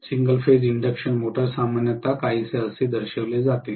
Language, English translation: Marathi, The single phase induction motor normally is shown somewhat like this